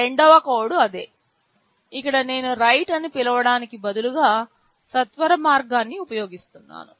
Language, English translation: Telugu, The second code is the same one where instead of calling write I am using the shortcut